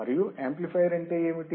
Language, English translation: Telugu, And what is amplifier